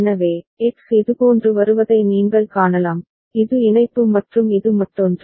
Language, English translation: Tamil, So, you can see that X is coming like this, this is the connection and this is the other one